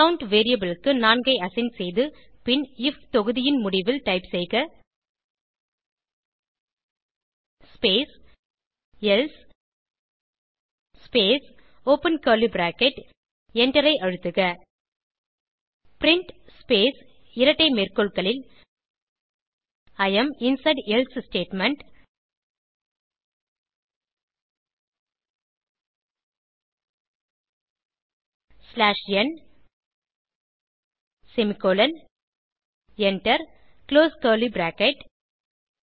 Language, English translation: Tamil, Assign 4 to count variable then at the end of the if block type space else space open curly bracket press Enter print space double quotes I am inside else statement slash n close double quotes semicolon Press Enter and close curly bracket